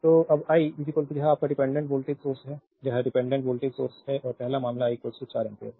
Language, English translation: Hindi, So, when I is equal to this is a your dependent voltage source, this is a dependent voltage source and first case is I is equal to 4 ampere